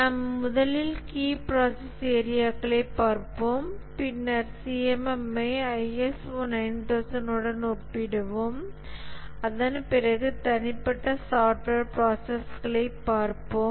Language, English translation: Tamil, We'll first look at the key process areas and then we'll compare the CMM with ISO 9,001 and after that we'll look at the personal software process